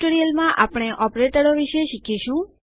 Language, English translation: Gujarati, In another tutorial were going to learn about operators